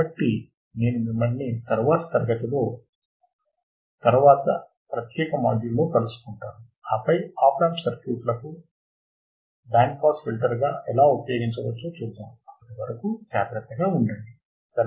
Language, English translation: Telugu, So, I will catch you in the next class in the next particular module and then we will see how the op amp circuits can be used as a band pass filter till then take care, bye